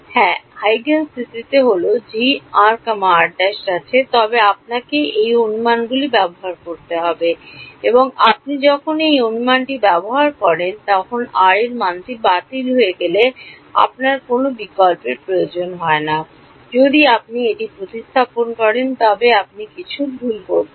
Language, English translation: Bengali, Yeah in the Huygens principle we have g of r comma r prime, but then you have to use these approximations and when you use this approximation that value of r cancelled off you do not need to substitute anything, if you have substituting it you are doing something wrong